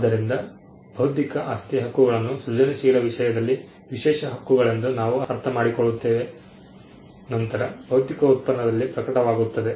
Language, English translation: Kannada, So, we understand intellectual property rights as exclusive rights in the creative content, then manifests in a physical product